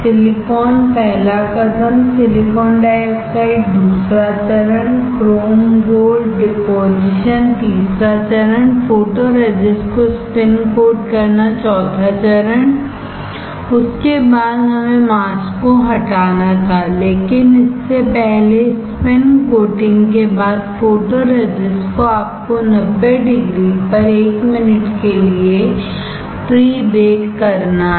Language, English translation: Hindi, Silicon first step, silicon dioxide grown second step, chrome gold deposit third step, deposit of spin coat of photoresist four step, after that we had to lower the mask before that after spin coating the photoresist you are to pre bake at 90 degree for 1 minute